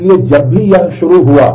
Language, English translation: Hindi, So, whenever it started